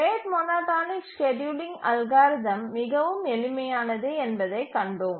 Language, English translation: Tamil, And in the rate monotonic scheduler, we saw that the scheduling algorithm is really simple